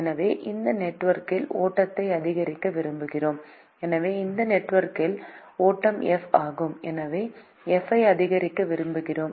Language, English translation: Tamil, so the flow in this network is f